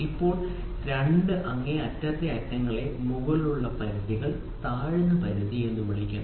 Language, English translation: Malayalam, So, now, what are the two extreme ends are called as upper limits and lower limit